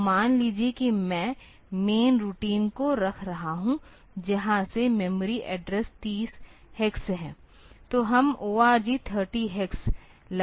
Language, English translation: Hindi, So, suppose the main routine I am putting from where memory address 3 0 hex